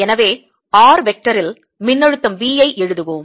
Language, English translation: Tamil, so let us write the potential v at r vector